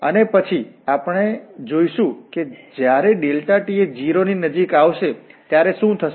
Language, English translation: Gujarati, And then we are looking what will happen when this delta t approaches to 0